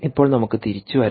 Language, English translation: Malayalam, now lets come back